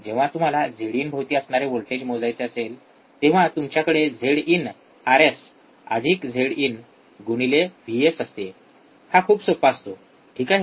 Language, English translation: Marathi, So, when you want to measure a voltage across Z in, you have Z in Rs plus Z in into vs it is very easy, right